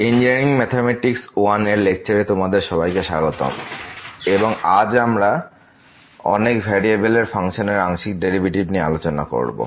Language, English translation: Bengali, Hello, welcome to the lectures on Engineering Mathematics I and today’s, this is lecture number 9 and we will be talking about Partial Derivatives of Functions of Several variables